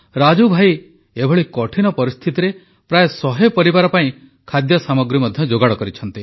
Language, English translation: Odia, In these difficult times, Brother Raju has arranged for feeding of around a hundred families